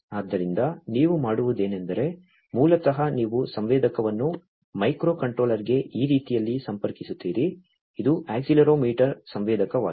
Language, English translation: Kannada, So, this is then what you do is basically you connect the sensor to the microcontroller in this manner; this is the accelerometer sensor